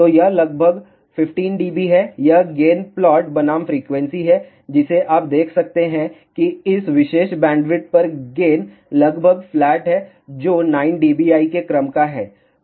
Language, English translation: Hindi, So, that is approximately 15 d B this is the gain plot versus frequency you can see that over this particular bandwidth gain is almost flat which is of the order of 9 dBi